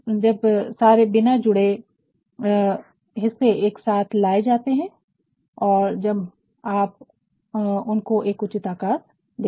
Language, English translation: Hindi, When all the disjointed parts are brought together and when we are going to give it a proper shape